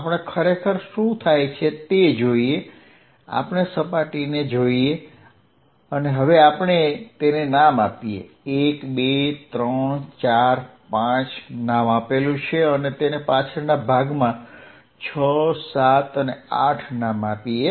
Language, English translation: Gujarati, Let us really see what happens, let us look at the surface let me name it 1, 2, 3, 4, 5 in the backside 6, 7 and 8